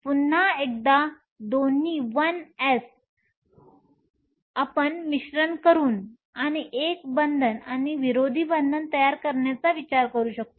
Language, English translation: Marathi, Once again both the 1 s you can think of mixing and forming a bonding and an anti bonding